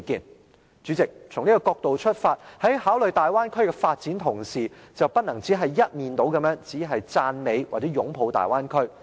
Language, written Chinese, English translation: Cantonese, 代理主席，從這個角度出發，在考慮大灣區的發展同時，便不能只是一面倒的只是讚美，或者擁抱大灣區。, Deputy President in view of this when deliberating on Bay Area development we should not just air one - sided views only praising or embracing the Bay Area